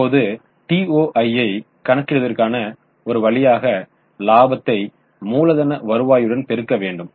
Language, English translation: Tamil, Now one way of calculating ROI is by multiplying the profitability into capital turnover